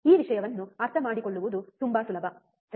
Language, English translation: Kannada, It is very easy to understand this thing, right